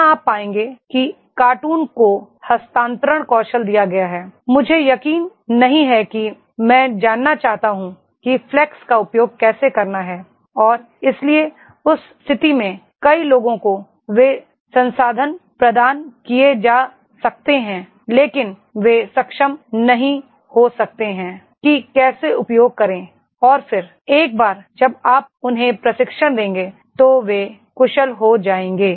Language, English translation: Hindi, Like here you will find cartoon has been given transfer skills, I am not sure I want to know how to use the fax and therefore in that case many people they may be provided the resources but they may not be competent enough how to make the use of it and then once you give them the training they will become efficient